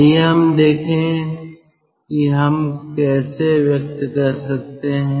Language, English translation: Hindi, let us see how we can express it